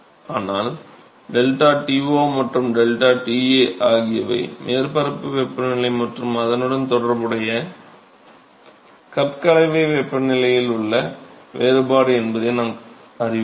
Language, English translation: Tamil, But we know that deltaT0 and deltaTa are the difference in the surface temperature and the corresponding cup mixing temperature right